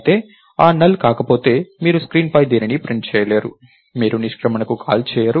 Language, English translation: Telugu, But however if a is not NULL, you will not print anything on the screen, you will not call exit